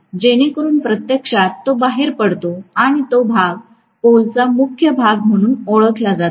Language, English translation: Marathi, So that actually protrudes and that portion is known as the salient portion of the pole